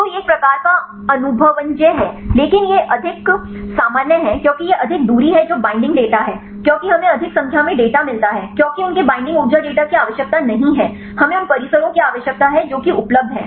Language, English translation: Hindi, So, this is kind of empirical, but it is more general because it is more distance that the binding data, because we get more number of data because their binding energy data is not required we need the complexes that that that are available